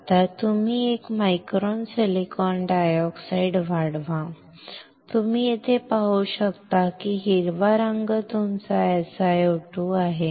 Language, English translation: Marathi, Now you grow one micron silicon dioxide; you can see here green color is your SiO2